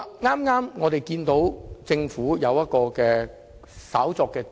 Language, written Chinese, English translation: Cantonese, 我們注意到，政府剛建議對議程稍作調動。, We noticed that the Government has just proposed a minor change to the order of agenda items